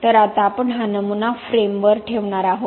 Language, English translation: Marathi, So now we are going to place this specimen on the frame